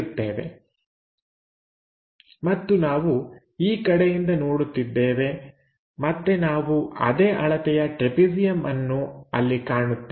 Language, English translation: Kannada, So, there similarly this line the bottom one coincides and we are looking in that direction, again we see a trapezium of same size